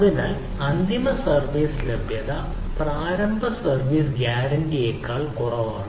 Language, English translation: Malayalam, so final service availability is less than initial service guarantee